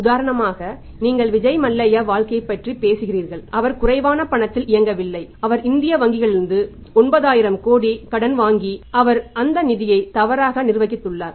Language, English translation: Tamil, For example you talk about the Vijay Mallya case he is not running short of money see if he has borrowed money 9000 crore from Indian banks number one he has mismanaged those funds right with me he was not honest and as per the integrity is concerned